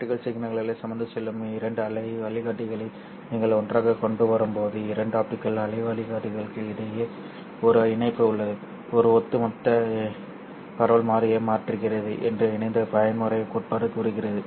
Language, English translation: Tamil, Coupled mode theory tells us that when you bring two wave guides carrying optical signals together, then there is a coupling between the two optical wave guides which changes the overall propagation constant